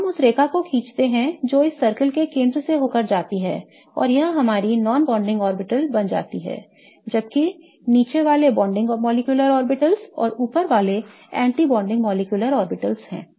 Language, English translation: Hindi, So, let us draw that line which goes through the center of this circle and this becomes our non bonding orbitals whereas the ones below are bonding molecular orbitals and the ones above are anti bonding molecular orbitals